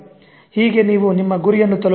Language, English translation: Kannada, So that is how you will reach towards your goal